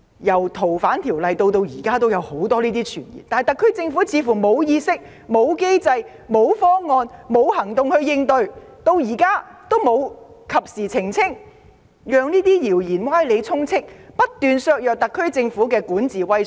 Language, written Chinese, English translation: Cantonese, 由《條例草案》出台至今都有很多此類傳言，但特區政府似乎沒有意識、機制、方案和行動加以應對，時至今日仍不及時作出澄清，任由謠言歪理充斥，不斷削弱特區政府的管治威信。, Since the Bill was first rolled out there have been plenty of such rumours but the SAR Government does not seem to have any awareness mechanisms plans and actions to deal with them . Even now the Government has still not made timely clarifications . Rumours and deceptive arguments remain rampant and continue to undermine the prestige of the SAR Government in governance